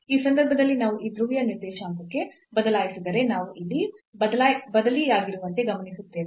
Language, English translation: Kannada, So, in this case we will observe that like if we substitute here if we change to the polar coordinate now